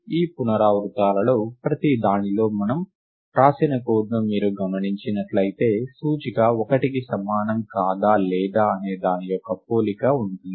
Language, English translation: Telugu, Further in each of these iterations if you notice the code, that we have written, there is a comparison of whether the index is is equal to 1 or not right